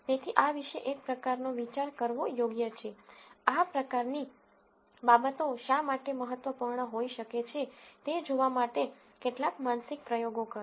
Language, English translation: Gujarati, So, its worthwhile to kind of think about this, do some mental experiments to see why these kinds of things might be important and so on